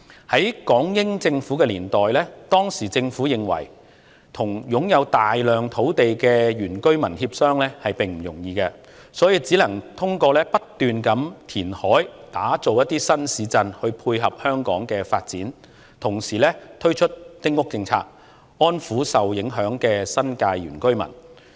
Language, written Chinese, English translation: Cantonese, 在港英政府年代，當時政府認為與擁有大量土地的原居民協商並不容易，只能通過不斷填海打造新市鎮來配合香港的發展，同時推出丁屋政策，以安撫受影響的新界原居民。, In the British - Hong Kong era the Government believed that it was no easy task to discuss with the indigenous residents about the ownership of a large amount of land so it could only carry out reclamation continually to create new towns to dovetail with Hong Kongs development . At the same time it introduced the New Territories small house policy to appease the affected indigenous residents of the New Territories